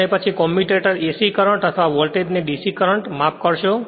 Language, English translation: Gujarati, And then commutator converts AC current or voltage to a DC current right sorry